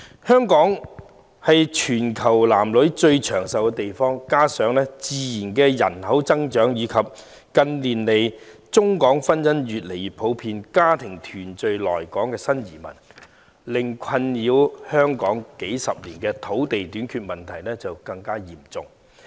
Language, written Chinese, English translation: Cantonese, 香港是全球男女最長壽的地區，加上自然人口增長及近年中港婚姻越見普遍，為家庭團聚來港的新移民令困擾香港數十年的土地短缺問題更為嚴重。, Hong Kongs men and women enjoy the longest life expectancy in the world . In addition to natural population growth and the increasing prevalence of marriages between Mainlanders and Hong Kong residents in recent years new arrivals coming to Hong Kong for family reunion have aggravated the problem of land shortage that has been plaguing Hong Kong for decades